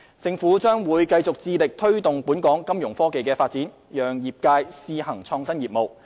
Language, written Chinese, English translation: Cantonese, 政府將繼續致力推動本港金融科技發展，讓業界試行創新業務。, The Government will continue with its endeavours in promoting local Fintech development and encourage the industry to launch innovative businesses as trials